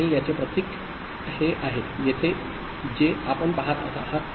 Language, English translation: Marathi, And the symbol for this is this the one that you see here